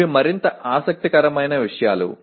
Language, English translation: Telugu, These are more interesting things